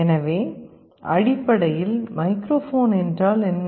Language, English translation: Tamil, So, essentially what is a microphone